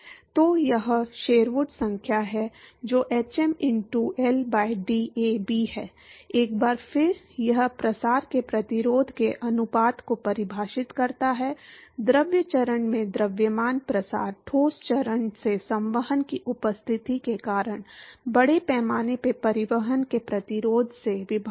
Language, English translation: Hindi, So, it is the Sherwood number which is hm into L by DAB, once again it defines the ratio of the resistance to diffusion, mass diffusion in the fluid phase divided by the resistance for mass transport due to the presence of convection from the solid phase to the fluid phase